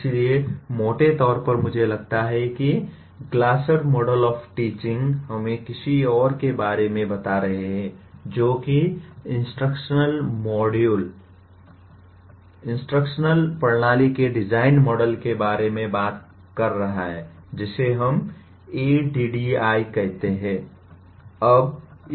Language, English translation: Hindi, So broadly I feel the Glasser’s model of teaching comes pretty close to what we are talking about the other one called instructional model, instructional system design model what we call ADDIE